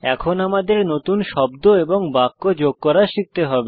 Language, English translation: Bengali, We will now learn to add new words and sentences